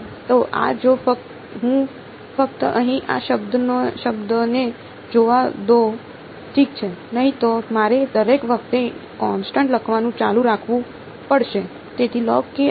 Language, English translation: Gujarati, So this if I just let us just look at this term over here ok, otherwise I will have to keep writing the constants each time